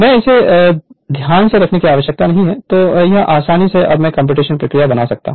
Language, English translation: Hindi, If you have understood this thing, then there is no need to keep it in mind easily you can make it right now computational procedure